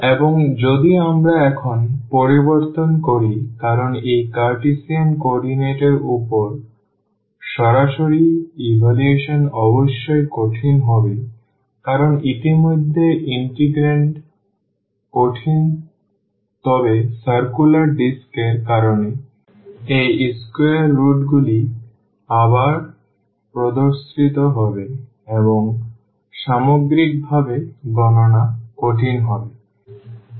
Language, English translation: Bengali, And if we change now because direct evaluation over this Cartesian coordinate will be definitely difficult because of already the integrand is difficult then the limits again this square roots will appear because of the circular disk and overall the computation will be will be difficult